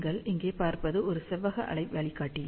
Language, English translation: Tamil, As you can see here, this is a rectangular waveguide